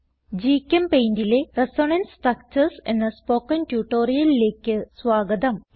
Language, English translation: Malayalam, Welcome to this tutorial on Resonance Structures in GChemPaint